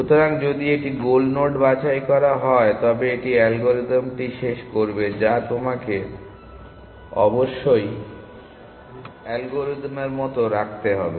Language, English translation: Bengali, So, if it is picked goal node it will terminate that is the algorithm; that you must remember like the algorithm